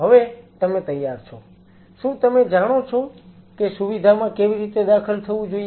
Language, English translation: Gujarati, Now you are all set, do you know enter the facility